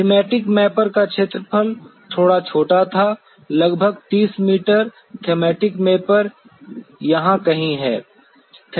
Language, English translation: Hindi, Thematic Mapper had a little even smaller the area, about 30 meters Thematic Mapper is somewhere here